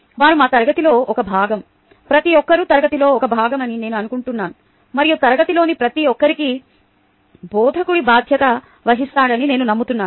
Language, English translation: Telugu, i think everybody is a part of the class and i believe that the instructor is responsible for everybody in the class